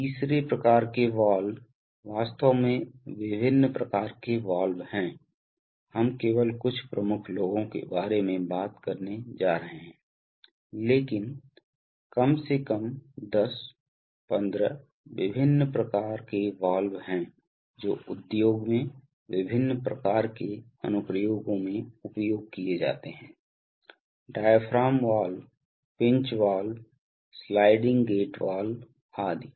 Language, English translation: Hindi, The third kind of valve, actually there are various kinds of valves, we are going to only talk about some major ones but there are at least 10, 15 different types of valves which are, which are used in various kinds of applications in the industry, diaphragm valve, pinch valve, sliding gate valve etc